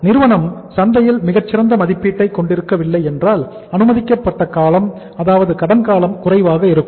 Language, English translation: Tamil, If the company is not having a very good rating in the market so the credit period allowed may be less